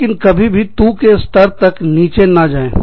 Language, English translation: Hindi, But, never go down to the level of, TU